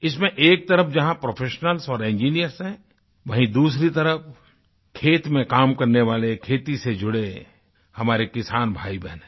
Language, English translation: Hindi, On one hand, where we have professionals and engineers, on the other hand, there exist farmers tilling the fields, our brethrensisters associated with agriculture